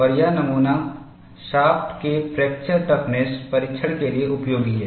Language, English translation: Hindi, And this specimen is useful for fracture toughness testing of shafts